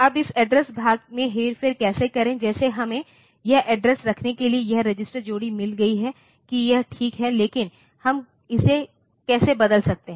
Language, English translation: Hindi, Now how to manipulate this address part, like we have got this register pair to hold this address that is fine, but how can we change it